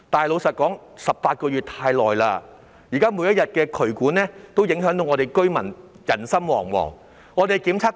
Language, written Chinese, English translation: Cantonese, 老實說 ，18 個月太久了，渠管問題現在每天都令居民人心惶惶。, Frankly speaking 18 months is too long a period . The drainage pipe problem is now causing panic among residents every day